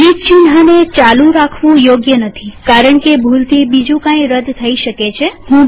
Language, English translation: Gujarati, I do not like to leave delete symbol on, because I can accidentally delete something else